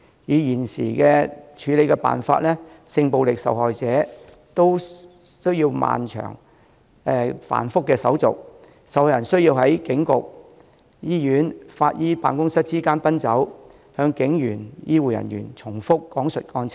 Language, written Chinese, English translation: Cantonese, 以現時的處理辦法，性暴力受害人都需要經歷漫長、繁複的手續，受害人需要在警局、醫院、法醫辦公室之間奔走，向警員和醫護人員等重複講述案情。, Under the current approach victims of sexual violence need to go through long and complicated procedures . They have to travel among the police station hospital and office of forensic pathologists to repeat the facts of their cases to the police officers and medical staff again and again